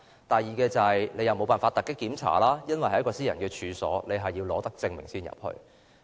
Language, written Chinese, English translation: Cantonese, 當局固然無法突擊檢查私人處所，必須取得手令才能進入。, The authorities certainly cannot conduct surprise inspection on private premises without a search warrant